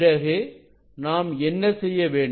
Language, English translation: Tamil, Then what we will do